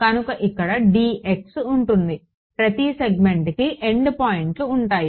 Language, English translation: Telugu, So, this will be d x right the endpoints for each segment will be there right